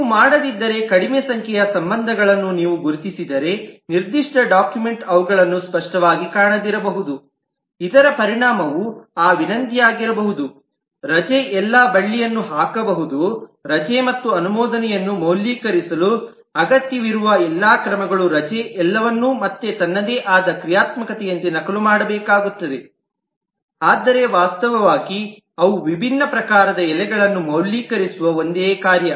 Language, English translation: Kannada, That is, if you do not, if you identify less number of include relationships because you may not find them explicitly in the specification document, the consequence could be that request leave has to put all the cord, all that action required for validating a leave, and the approved leave will have to duplicate all of those again as its own functionality, whereas they are the same functionality of validating the leaves of different types